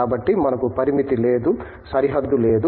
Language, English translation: Telugu, So, there is no limit, no boundary that restricts us